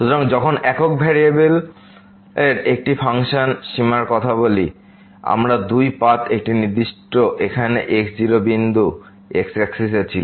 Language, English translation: Bengali, So, while talking the limit for a function of single variable, we had two paths to approach a particular point here on axis like in this case